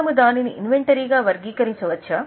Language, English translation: Telugu, Can we classify it as an inventory